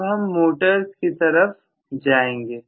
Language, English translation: Hindi, Now, we are going to migrate to motors